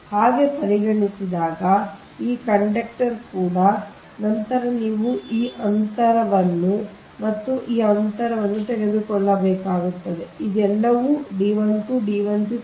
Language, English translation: Kannada, similarly, if you consider this, this conductor also, then you have to take this distance and this distance if you consider this one, this one, this one